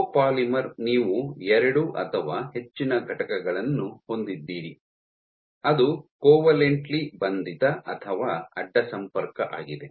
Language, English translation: Kannada, Copolymer you have two or more entities which are covalently or cross linked